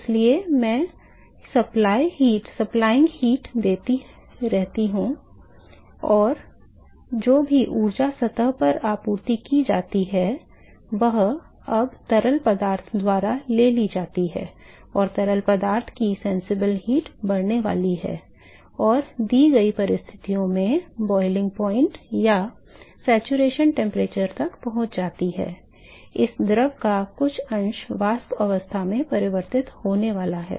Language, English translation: Hindi, So, I keep giving supplying heat and whatever energy that is supplied to the surface is now taken up by the fluid, and the fluid’s sensible heat is going to increase and moment it reaches the boiling point or the saturation temperature, at the given conditions, some fraction of this fluid is going to get converted into vapor phase